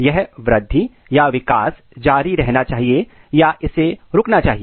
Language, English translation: Hindi, Whether this growth or the development should continue or it should stop